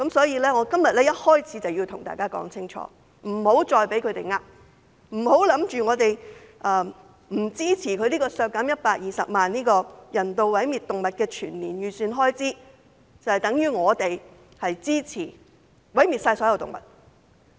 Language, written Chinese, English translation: Cantonese, 因此，我今天一開始便要向大家說清楚，請勿再被他們欺騙，不要以為我們不支持削減人道毀滅動物涉及的120萬元全年預算開支，就等於我們支持毀滅所有動物。, Therefore I have to make it clear from the outset today Do not be deceived by them anymore . Do not believe that we support killing all animals just because we do not support the reduction of 1.2 million in the expenditure on euthanasia of animals